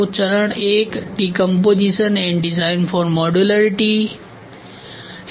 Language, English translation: Hindi, So, the phase I is going to be decomposition and design for modularity